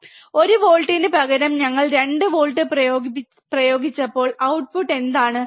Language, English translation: Malayalam, When we applied 2 volts instead of 1 volt, what is the output